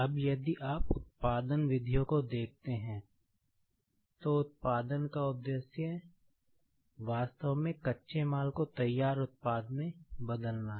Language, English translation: Hindi, Now, if you see the production methods, the purpose of production is actually to convert the raw materials into the finished product